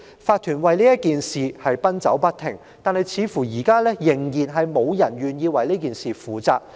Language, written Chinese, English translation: Cantonese, 法團為此事奔走不停，但至今似乎仍然無人願意為此事負責。, The owners corporation has been running around busily to deal with the issue . Yet to date it seems that no one is willing to bear the responsibility